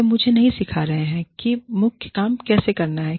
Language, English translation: Hindi, They are not teaching me, how to do the main thing